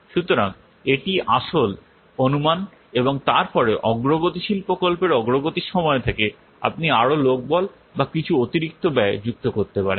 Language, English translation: Bengali, So this was the original estimate and then since the progress, during the progress of the project you might add more manpower or some additional cost